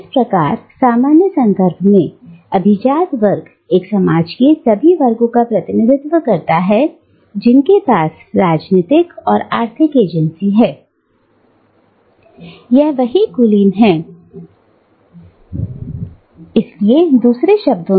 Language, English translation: Hindi, Thus, in a more general context, the term elite, represents all the sections of a society, which have political and economic agency, right, power to act out their self interests and desires within the political and economic arenas